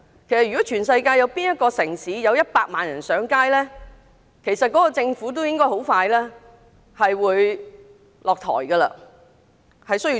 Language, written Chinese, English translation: Cantonese, 其實全世界無論哪個城市，如果有100萬人上街，當地政府都要立即下台，重組政府。, In any cities in the world if 1 million people take to the streets in protest the local government would step down immediately to form a new government